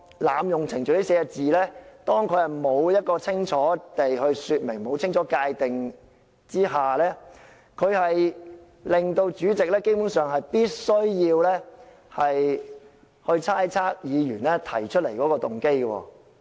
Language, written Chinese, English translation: Cantonese, "濫用程序"這4個字未經清楚說明和界定下，主席基本上必須猜測議員提出來的動機。, Without clear elaboration or definition of a proposed adjournment motion the President basically has to speculate on a Members motive of moving the motion to decide if it is an abuse of procedure